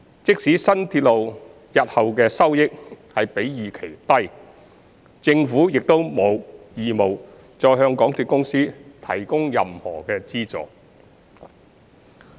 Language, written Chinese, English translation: Cantonese, 即使新鐵路日後的收益比預期低，政府亦沒有義務再向港鐵公司提供任何資助。, The Government has no obligation to provide any further funding support to MTRCL even if the future revenue of the new railway turns out to be lower than expected